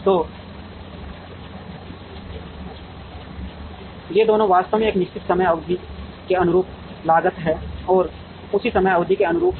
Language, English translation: Hindi, So, that both these actually represent cost corresponding to a certain time period and corresponding to the same time period